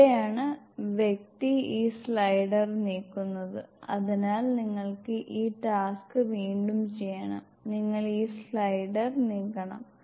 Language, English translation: Malayalam, This is where the person move this slider, so you have to do this task again, you have to move this slider